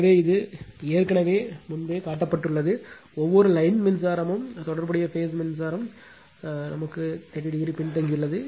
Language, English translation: Tamil, So, it is already shown earlier right, each line current lags the corresponding phase current by 30 degree